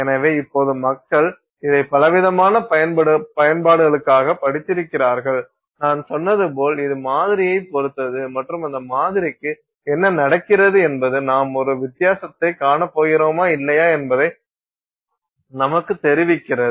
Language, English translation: Tamil, So, now people have studied this for variety of applications and as I said you know it really depends on your sample and what is happening to that sample which tells us whether or not you are going to see a difference or not